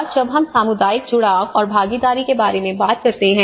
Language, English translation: Hindi, And when we talk about the community engagement and the participation